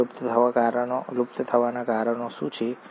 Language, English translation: Gujarati, And what are the causes of extinction